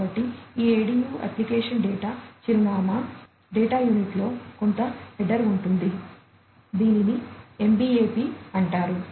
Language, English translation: Telugu, So, this ADU application data address, data unit has some header, which is known as the MBAP